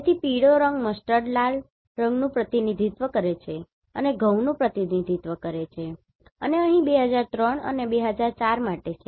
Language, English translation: Gujarati, So, yellow colour represent mustard red colour represents wheat and here for 2003 and 2004